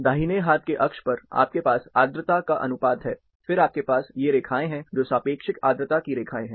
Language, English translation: Hindi, Right hand axis, you have humidity ratio, then you have these lines, relative humidity lines